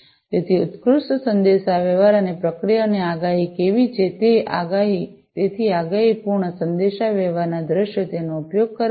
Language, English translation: Gujarati, So, superlative communications and you know how the process the processes are predictive and so on; so predictive communication scenarios it is used